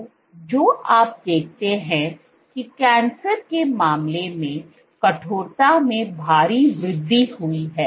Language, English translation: Hindi, So, what you see is there is a drastic increase in the stiffness in case of cancer